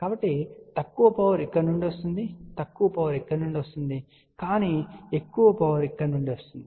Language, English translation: Telugu, So, less power comes from here less power comes from here, but larger power comes from here